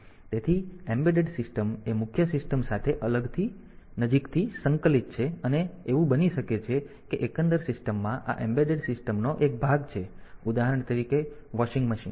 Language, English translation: Gujarati, So, an embedded system it is closely integrated with the main system and it so, it may be that in the overall system this embedded system is a part for example, the say the washing machine